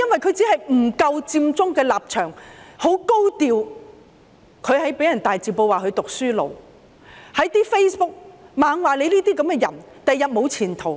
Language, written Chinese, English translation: Cantonese, 他只是不撐佔中的立場，很高調，即被人在大字報指他是"讀書奴"，在 Facebook 不停說他這樣的人將來沒有前途。, He did not support the Occupy Central movement in a very high profile and he was dubbed a bookslave and people commented on Facebook that people like him would have no future